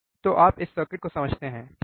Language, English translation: Hindi, So, you understand this circuit, right